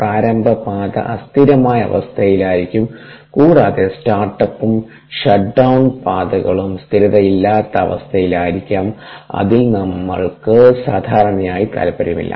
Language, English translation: Malayalam, the initial path could be at unscheduled state and the final, the start up and the shut down paths, could be at unscheduled state, which we are not normally interested in